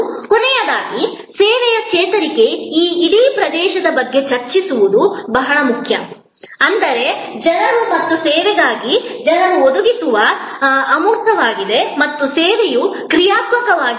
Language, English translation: Kannada, And lastly, it is very important to discuss about this whole area of service recovery, whether that means, a services provided by people, for people and service is intangible and service is dynamic